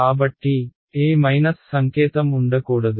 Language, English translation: Telugu, So, there should not be any minus sign